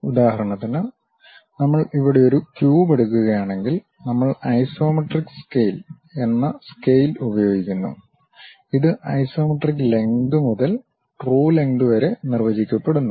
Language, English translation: Malayalam, For example, if we are taking a cube here; we use a scale named isometric scale, this is defined as isometric length to true length